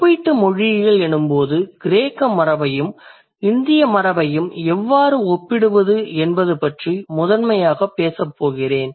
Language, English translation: Tamil, So from when I say comparative philology, I'm primarily I'm going to discuss and I'm going to talk about how to compare between the Greek tradition and then the Indic tradition